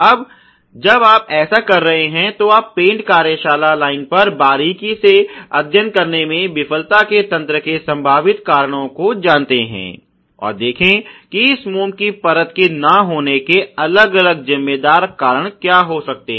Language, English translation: Hindi, Now when you are doing this you know the potential causes of the mechanism of the failure you closely study on the paint shop line, and see what are the different responsible reasons for why this wax coverage may not happen